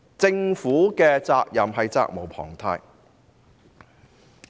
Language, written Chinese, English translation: Cantonese, 政府是責無旁貸的。, The Government is duty - bound in this regard